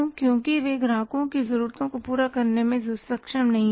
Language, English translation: Hindi, Because they were not able to serve the customers needs